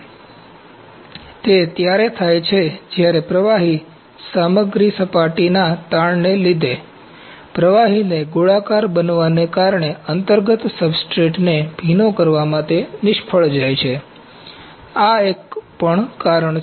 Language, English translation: Gujarati, So, it occurs when the liquid materials fails to wet the underlying substrate due to surface tension, spherodizing the liquid, so this is also one of the reason